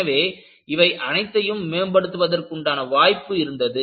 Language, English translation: Tamil, So, there was scope for improvement for all this